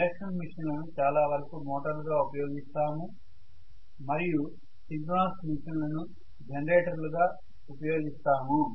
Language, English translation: Telugu, The induction machine generally by and large is used as motor whereas the synchronous machine by and large is used as a generator